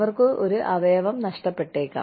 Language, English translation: Malayalam, They may lose a limb